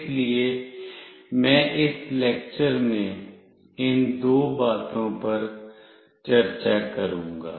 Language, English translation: Hindi, So, I will be discussing these two things in this lecture